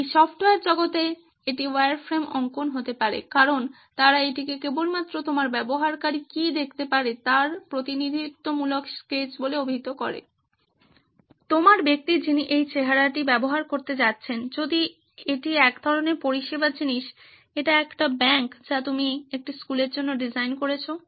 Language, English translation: Bengali, In this software world it could be wireframe drawings as they call it just representative sketches of what possibly could your user be looking at, your person who is going to use this look at, if it is a sort of service thing, it is a bank that you are designing it for a school